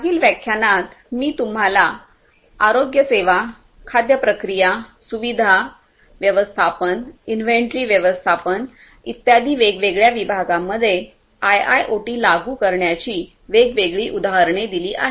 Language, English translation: Marathi, In the previous lectures, I have given you different examples of application of IIOT in different domains such as healthcare, food, food processing, facility management, inventory management and so on and so forth